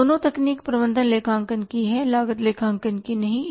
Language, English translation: Hindi, These two techniques are of the management accounting not of the cost accounting